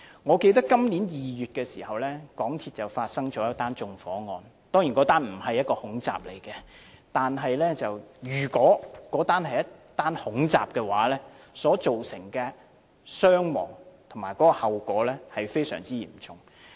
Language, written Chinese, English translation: Cantonese, 我記得在今年2月時，港鐵發生一宗縱火案，當然這宗案件並不是恐怖襲擊，但如果該宗案件是恐怖襲擊，所造成的傷亡和後果將非常嚴重。, I recall that in February this year there was an arson case in MTR which of course is not a terrorist attack . But if it were a terrorist attack the casualties and consequences would be highly serious